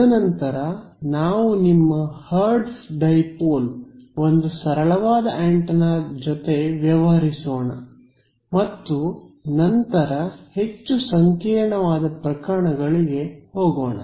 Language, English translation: Kannada, And then we will deal with the simplest antenna which is your hertz dipole and then go to more complicated cases right